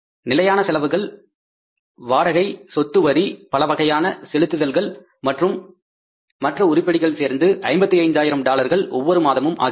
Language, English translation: Tamil, Fix expenses for the rent, property taxes and miscellaneous payrolls and other items are $55,000 monthly